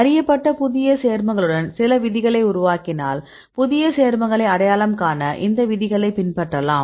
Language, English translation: Tamil, With a new known compounds if you make some rules, then we can adopt these rules to identify the new compounds